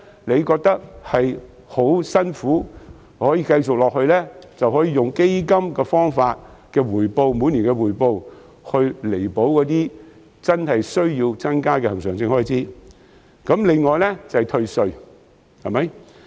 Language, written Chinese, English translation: Cantonese, 當感到吃力時，就可以利用基金每年的回報，彌補真正有需要增加的恆常性開支或是退稅。, At times when there is financial pressure the Government may use the funds annual return to cover the additional recurrent expenses or for tax rebates